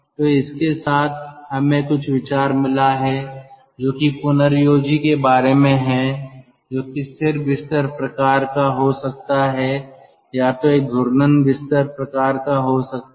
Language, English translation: Hindi, so with this we have got some idea regarding the regenerator, which could be fixed bed type or which could be a ah rotating bed type